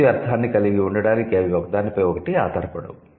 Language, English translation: Telugu, They don't depend on each other to have complete meaning